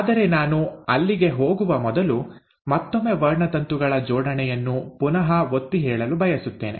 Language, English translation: Kannada, But before I get there, I again want to re emphasize the arrangement of chromosomes